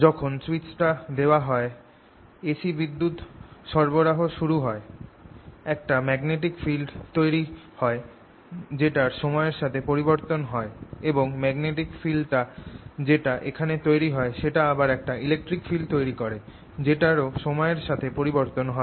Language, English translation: Bengali, c supply comes here, it produces magnetic field which is changing in time, and that magnetic field produced that is changing in time in turn produces an electric field which is also changing in time